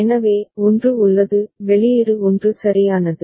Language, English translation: Tamil, So, 1 is there, output is 1 right